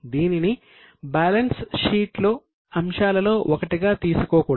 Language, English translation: Telugu, It is not to be taken in the balance sheet as one of the items